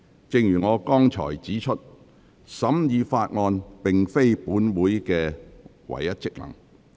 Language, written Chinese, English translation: Cantonese, 正如我剛才指出，審議法案並非本會的唯一職能。, As I pointed out earlier scrutiny of bills is not the only function of this Council